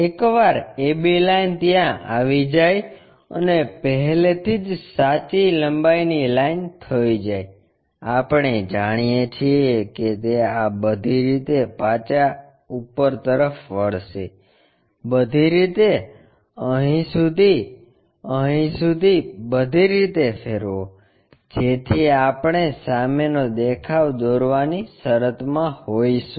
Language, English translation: Gujarati, Once a b line is there and already true length line we know project it back all the way up, all the way up, up to here, up to here rotate it all the way there so, that we will be in a position to construct, this front view